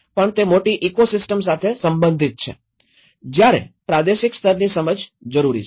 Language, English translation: Gujarati, It has to relate with the larger ecosystem that’s where the regional level understanding has to come